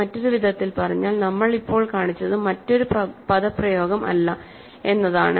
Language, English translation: Malayalam, In other words, what we have now shown is that there is no other expression